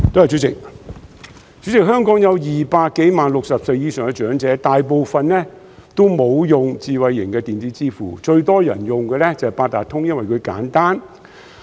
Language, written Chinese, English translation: Cantonese, 主席，香港有200多萬名60歲以上長者，大部分也沒有使用智慧型的電子支付，最多人用的便是八達通卡，因為簡單。, President there are more than 2 million elderly persons aged 60 or above in Hong Kong . Most of them do not use smart electronic payment and the Octopus card is the most popular among them because it is simple